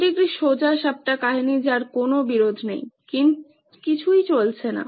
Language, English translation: Bengali, This is a straightforward story with no conflict, nothing going on